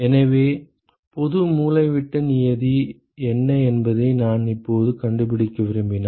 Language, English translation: Tamil, So, if I now want to find out what is the general diagonal term